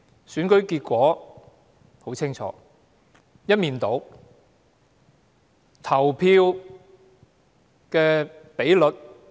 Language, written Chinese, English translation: Cantonese, 選舉結果很清楚，是一面倒的。, The election has produced a landslide result